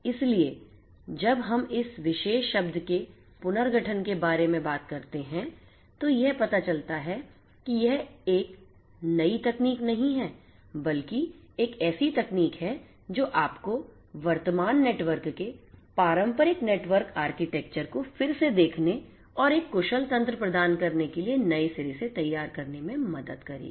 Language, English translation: Hindi, So, when we talk about restructuring as this particular term the qualifier suggests that it is not a new technology, but a technology that will help you to reengineer to reshape to relook at the current network the conventional network architecture and provide an efficient mechanism of doing things